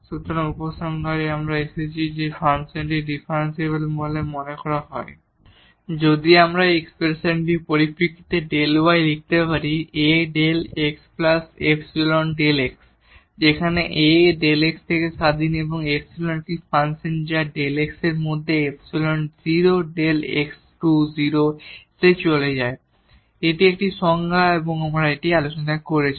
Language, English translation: Bengali, So, coming to the conclusion we have seen that this function is said to be differentiable, if we can write down delta y in terms of this expression A delta x plus epsilon delta x, where A is independent of delta x and epsilon is a function of delta x such that epsilon goes to 0 delta x goes to 0 this was one definition we have discussed